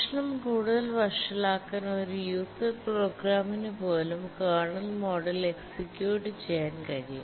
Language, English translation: Malayalam, To make the matter worse, even a user program can execute in kernel mode